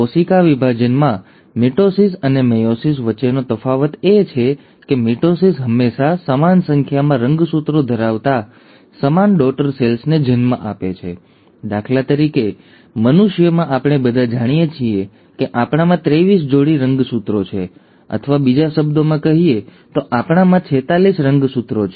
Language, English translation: Gujarati, The difference between mitosis and meiosis in cell division is that mitosis always gives rise to identical daughter cells with same number of chromosomes; for example in humans, we all know that we have twenty three pairs of chromosomes, or in other words we have forty six chromosomes